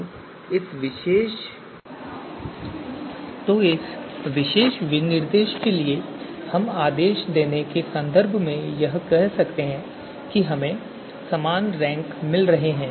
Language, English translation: Hindi, So for this particular specification we can say in terms of ordering we are getting the same you know same ordering or same rank right